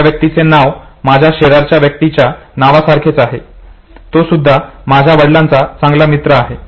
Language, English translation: Marathi, His name is exactly the name of a neighbor of mine who happens to also to be a good friend of my father